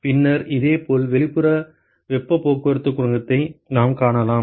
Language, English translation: Tamil, And then similarly we can find the outside heat transport coefficient